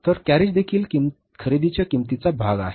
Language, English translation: Marathi, So carriage is also the part of the cost of purchases